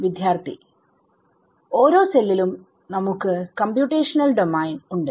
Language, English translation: Malayalam, Every cell we have computational domain